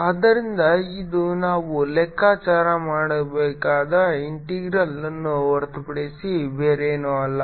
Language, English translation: Kannada, so this is nothing but the integral which we have to calculate